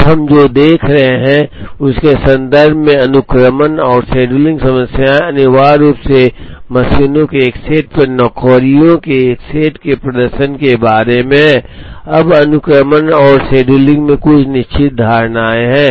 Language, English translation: Hindi, Now, sequencing and scheduling problems in the context of what we are looking at is essentially about performing a set of jobs on a set of machines, now there are certain assumptions in sequencing and scheduling